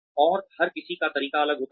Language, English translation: Hindi, And, everybody has a different way